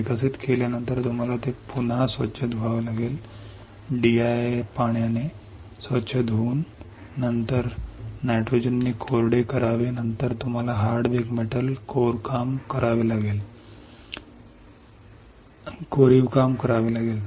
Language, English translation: Marathi, After developing you have to again rinse it rinse with D I and then dry with N 2 then you have to do hard bake metal etch